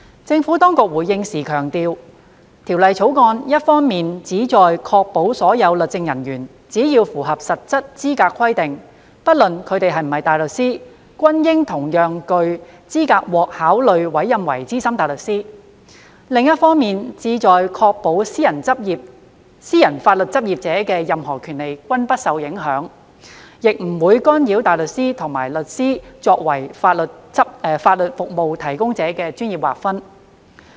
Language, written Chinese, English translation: Cantonese, 政府當局回應時強調，《條例草案》一方面旨在確保所有律政人員只要符合實質資格規定，不論他們是否大律師，均應同樣具資格獲考慮委任為資深大律師；另一方面旨在確保私人法律執業者的任何權利均不受影響，亦不會干擾大律師與律師作為法律服務提供者的專業劃分。, In response the Government stressed that on the one hand the Bill sought to ensure that irrespective of whether they were barristers or not all legal officers should be equally eligible for consideration to be appointed as SC upon satisfying the substantive eligibility requirements . On the other hand the Bill also sought to ensure that any rights of the legal practitioners in the private sector would not be affected and that the professional demarcation between the barristers and solicitors branches as legal services providers would not be disturbed